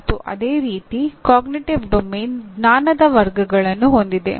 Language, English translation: Kannada, And similarly Cognitive Domain has Knowledge Categories